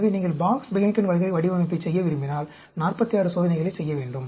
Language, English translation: Tamil, And so, when you are doing a Box Behnken Design for 4 factors, we have to do 27 experiments